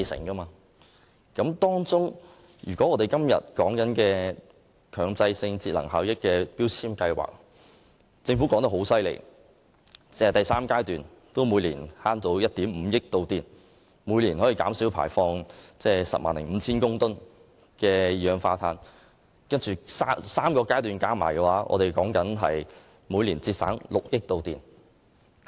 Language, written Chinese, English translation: Cantonese, 本會今天討論的第三階段強制性標籤計劃，政府指單是這個階段每年可節省1億 5,000 萬度電，並減少排放 105,000 公噸二氧化碳 ；3 個階段加起來，每年可節省6億度電。, According to the Government under the third phase of MEELS which we are discussing today 150 million kWh of electricity can be saved and 105 000 tonnes of carbon dioxide emissions will be reduced per annum . Three phases combined 600 million kWh of electricity will be saved per annum